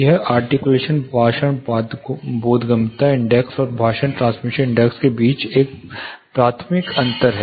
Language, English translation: Hindi, This is one primary difference between articulations speech intelligibility indexes, and the speech transmission index